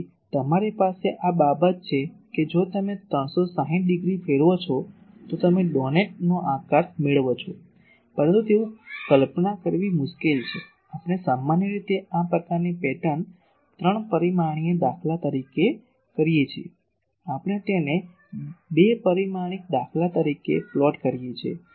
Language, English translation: Gujarati, So, you have that there is a this thing if you revolve 360 degree you get a doughnut shape, but it is difficult to visualize so, what we do generally this type of pattern three dimensional pattern we plot it as two dimensional patterns